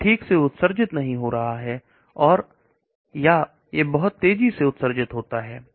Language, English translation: Hindi, It is not getting excreted properly or it gets excreted very fast